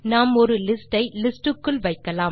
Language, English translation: Tamil, Let us include a list within a list